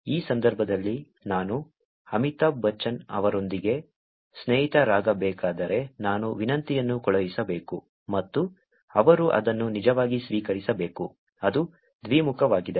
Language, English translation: Kannada, In this case, if I were to be friends with Amitabh Bachchan, I have to send a request and he has to actually accept it, that is bidirectional